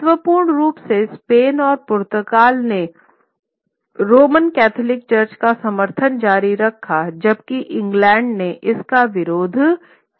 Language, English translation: Hindi, Importantly, Spain and Portugal continued to support the Roman Catholic Church, whereas England opposed it